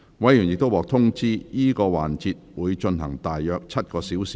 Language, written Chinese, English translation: Cantonese, 委員已獲通知，這個環節會進行約7小時。, Members have already been informed that this session will take approximately seven hours